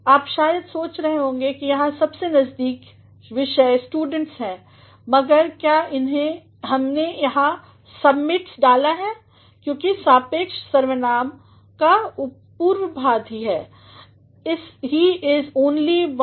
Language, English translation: Hindi, You might be thinking that here the nearest subject is students, but why we have put submits here, because the antecedent of the relative pronoun is he; he is only one of those students who submit assignments in time